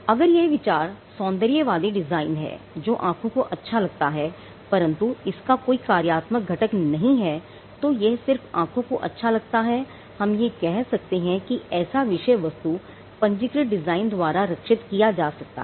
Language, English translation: Hindi, If the idea is an aesthetic design a design that pleases the eye with no functional component to it, it is just that it pleases the eye then we say that subject matter can be protected by a register design